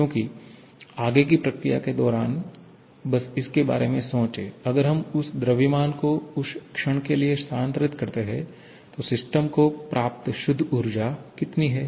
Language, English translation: Hindi, Because just think about during the forward process; if we neglect that mass transfer for the moment, then how much is the net energy that system has received